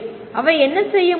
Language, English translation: Tamil, What would they do